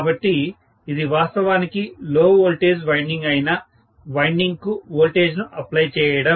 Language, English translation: Telugu, So, this is actually applying the voltage to the winding which will be the low voltage winding